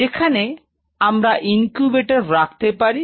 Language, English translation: Bengali, Where you will be placing the incubators possibly